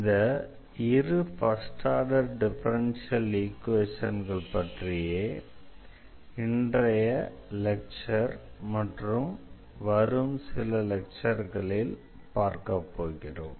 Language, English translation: Tamil, So, these are the two types of first order differential equations we will be covering in this and the next few lectures